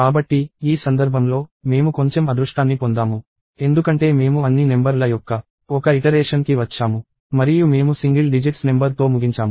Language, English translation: Telugu, So, in this case, we have got slightly lucky, because we went over one iteration of all the numbers and we ended up with a single digit number itself